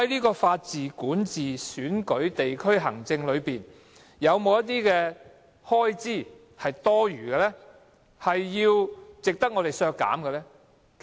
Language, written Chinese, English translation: Cantonese, 在法治、管治、選舉及地區行政方面，有否一些開支是多餘，值得削減的呢？, Is there any redundant expenditure on the rule of law governance elections and district administration that should be cut down?